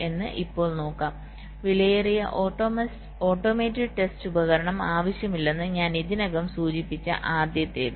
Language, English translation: Malayalam, we first one: i already mentioned that we do not need an expensive automated test equipment